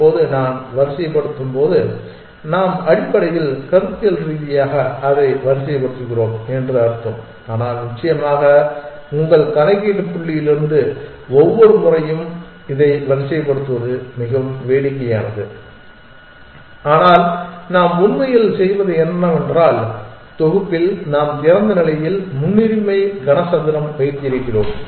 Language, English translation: Tamil, Now, when I say sort we essentially mean conceptually we have sorting it, but of course from the computational point of you it would be quite silly to sort open this every time and, but we really do is that in set we maintain open is a priority cube